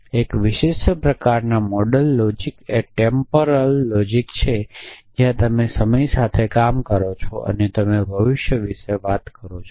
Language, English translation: Gujarati, One particular kind of modal logics is temporal logics where the temporal off course deals with time and when you deal with time and you are talking about the future